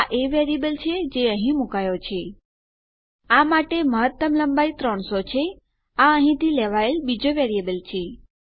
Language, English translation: Gujarati, thats the variable thats been put here And the maximum length for this is 300 thats another variable thats taken from here